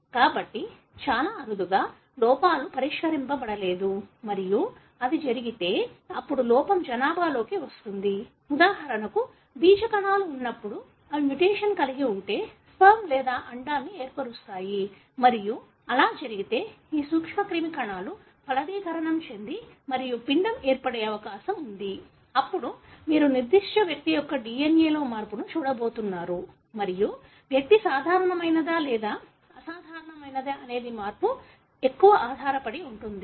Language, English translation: Telugu, So very rarely, the errors are not fixed and if it does happen, then the error comes into the population that may, for example when the germ cells, the one that forms sperm or egg if they have a mutation and it so happened that if these germ cells had a chance to fertilize and form an embryo, then you are going to see that change in the DNA of that particular individual and whether the individual would be normal or abnormal depends on where the change is